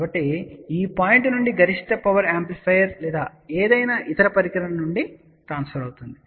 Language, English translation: Telugu, So, from this point maximum power got transferred from amplifier or any other particular device